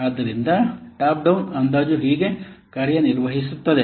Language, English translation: Kannada, So this is how the top down estimation this works